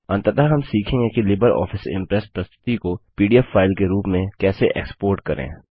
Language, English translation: Hindi, Finally we will now learn how to export a LibreOffice Impress presentation as a PDF file